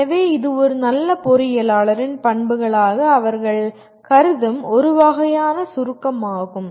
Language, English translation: Tamil, So this is a kind of a summary of what they consider as the characteristics of a good engineer